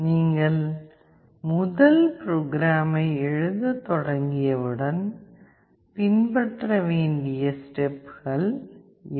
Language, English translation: Tamil, These are the steps that need to be followed up once you start writing the first program